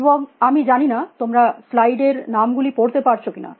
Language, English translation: Bengali, And I do not know whether, you can read the names on the slides